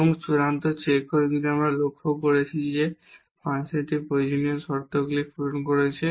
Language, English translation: Bengali, And the final check if we have observed that the function the necessary conditions are fulfilled